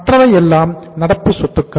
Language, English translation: Tamil, Others are current assets